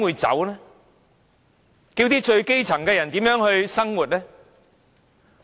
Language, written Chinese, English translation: Cantonese, 最基層的人怎樣生活？, How can people in the lowest stratum make ends meet?